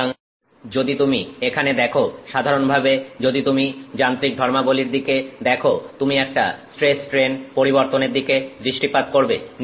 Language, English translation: Bengali, So, if you see here, if you look at mechanical properties in general, you are looking at a stress strain curve